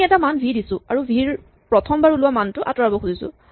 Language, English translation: Assamese, We provide a value v and we want to remove the first occurrence of v